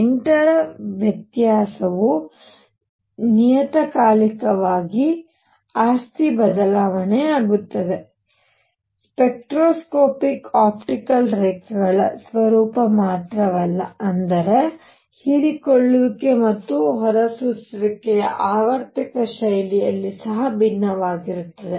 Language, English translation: Kannada, The difference of 8 periodically the property change, not only that the spectroscopic the nature of optical lines; that means, absorption and emission also varied in periodic fashion